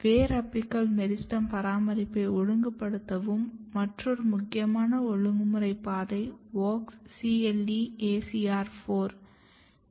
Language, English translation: Tamil, Another important regulatory pathways which is regulating root apical meristem maintenance is WOX CLE ACR4 module